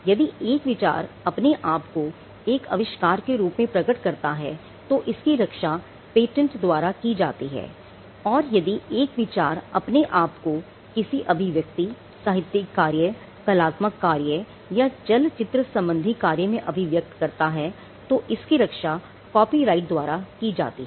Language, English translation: Hindi, If an idea manifests itself in the form of an invention then that is protected by a patent, if the idea manifest itself in the form of an expression a literary work or an artistic work or a cinematographic work then that is protected by a copyright